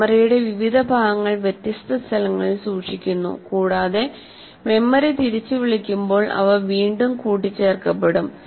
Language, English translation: Malayalam, Different parts of the memory are stored in different sites, and they get reassembled when the memory is recalled